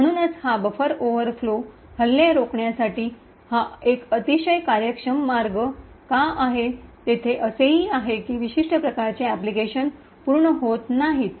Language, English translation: Marathi, Therefore, why this is a very efficient way to prevent this buffer overflow attacks, there is also, a downside present the certain types of applications do not complete